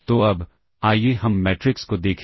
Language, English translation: Hindi, So now, let us look at matrices